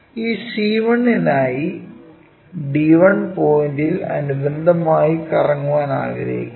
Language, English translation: Malayalam, We want to rotate about d 1 point for this c 1, so this point has to go there